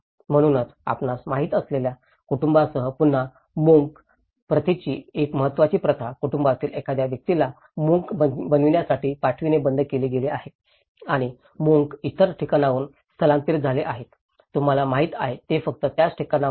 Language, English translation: Marathi, So, again an important practice of monk practice with the family you know, sending a person from the family to become a monk has been discontinued and the monks have been migrated from other places, you know, it is not just from the same place